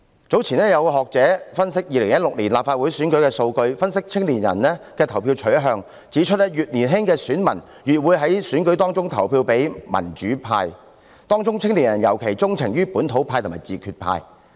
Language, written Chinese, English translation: Cantonese, 早前有學者分析2016年立法會選舉的數據，分析青年人的投票取向，指出越年青的選民越會在選舉中投票給民主派，當中青年人尤其鍾情於本土派和自決派。, Earlier on an academic analysed the data of the 2016 Legislative Council Election and the voting preferences of young people . It was pointed out that the younger the voters the more likely they will vote for the pro - democracy camp in the election and young people in particular show a penchant for the localist and self - determination groups